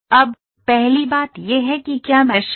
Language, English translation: Hindi, Now, first thing is what is mashing